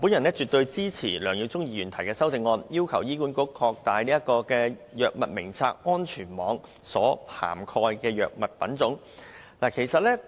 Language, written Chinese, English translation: Cantonese, 我絕對支持梁耀忠議員的修正案中對醫管局擴大《藥物名冊》安全網所涵蓋的藥物種類的要求。, I definitely support the request as raised in Mr LEUNG Yiu - chungs amendment that the HA expands the types of drugs covered by the safety net under the Drug Formulary